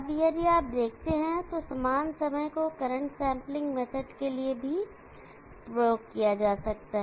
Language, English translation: Hindi, Now if you look at similar times can be used for the current sampling method also